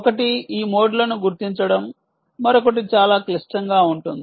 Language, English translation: Telugu, one is detection of these modes, the other is much more complicated